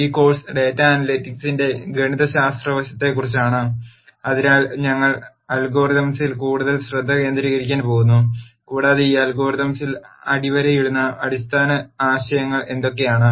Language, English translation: Malayalam, This course is more about the mathematical side of the data analytics, so, we are going to focus more on the algorithms and what are the fundamental ideas that underlie these algorithms